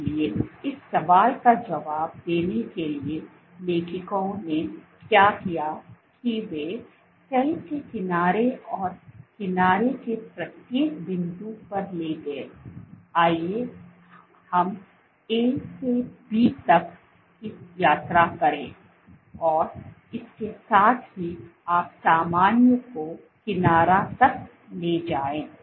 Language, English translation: Hindi, So, to answer this question what the authors did was they took the edge of the cell and along at each point of the edge, let us take the trip A to B, and along this till you take normal to the edge